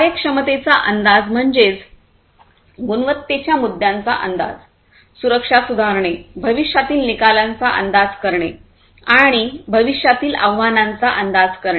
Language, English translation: Marathi, Proactivity predicting the quality issues, improving safety, forecasting the future outcomes, and predicting the future challenges